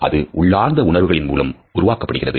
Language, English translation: Tamil, It is produced from an array of instinctual feelings